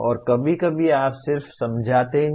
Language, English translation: Hindi, And sometimes you just explain